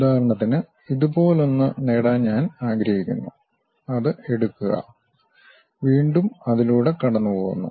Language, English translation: Malayalam, For example, I would like to have something like this, take that, again comes pass through that